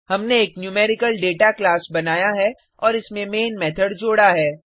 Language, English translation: Hindi, We have created a class NumericalData and added the main method to it